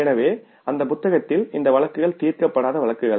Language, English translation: Tamil, So, in that book these cases are given as unsolved cases